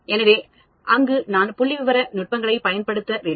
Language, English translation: Tamil, So, there I need to use statistical techniques